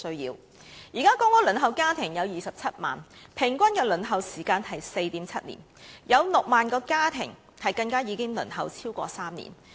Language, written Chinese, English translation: Cantonese, 現時輪候公屋的家庭有27萬，平均輪候時間是 4.7 年，有6萬個家庭更已輪候超過3年。, At present there are 270 000 families waiting for PRH allocation . The average waiting time is 4.7 years and 60 000 families have even waited for more than three years